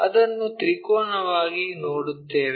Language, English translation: Kannada, So, we will see it like a triangle